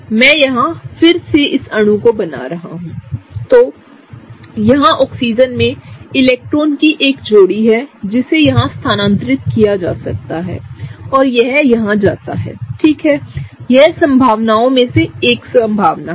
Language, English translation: Hindi, So, the Oxygen, let me just redraw the molecule here; the Oxygen here has a pair of electrons that can be moved here and this goes here so, right, that is one of the possibilities